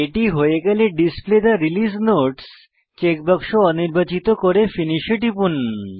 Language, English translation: Bengali, Once done, uncheck the Display Release Note checkbox and then click on Finish